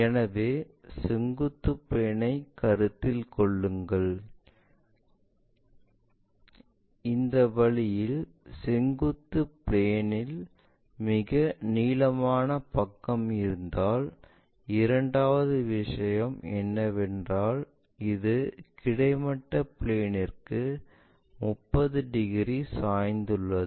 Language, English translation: Tamil, So, vertical plane if we are considering, if we are considering this one the longest side is in the vertical plane in this way and the second thing is, it is 30 degrees inclined to horizontal plane